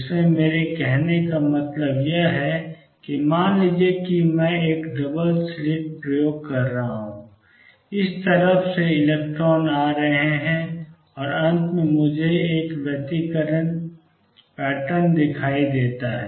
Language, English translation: Hindi, What I mean to say in this is suppose I am doing a double slit experiment, with electrons coming from this side and finally, I see an interference pattern